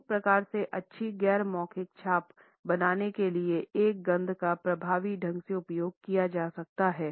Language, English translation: Hindi, A smell can thus be used effectively to create a good non verbal impression